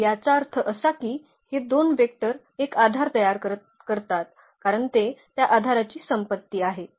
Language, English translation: Marathi, So; that means, these two vectors form a basis because, that is a property of the basis